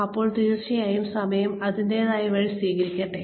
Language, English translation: Malayalam, Then definitely, let time take its own course